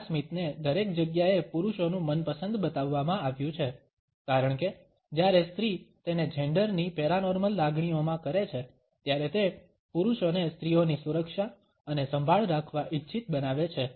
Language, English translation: Gujarati, This smile has been shown to be men’s favourite everywhere because when a woman does it within genders paranormal feelings, making men want to protect and care for females